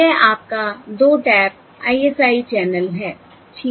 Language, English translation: Hindi, okay, This is your 2 tap ISI channel